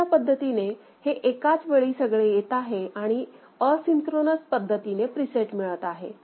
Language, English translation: Marathi, So, this is a parallel in getting loaded, asynchronously getting preset